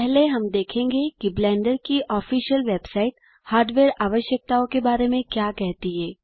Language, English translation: Hindi, First Up, we shall look at what the official Blender website has to say about the hardware requirements